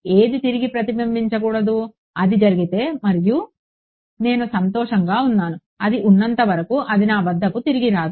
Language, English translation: Telugu, Nothing should get reflected back in, if that happens and I am happy whatever be the magnitude as long as it is does not come back to me